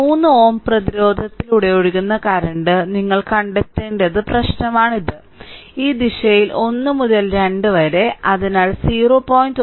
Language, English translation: Malayalam, So, this is the problem that you have to find out the current flowing through this 3 ohm resistance say, in this direction 1 to 2 so, between 0